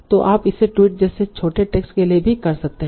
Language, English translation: Hindi, You can also do it for very short text like tweets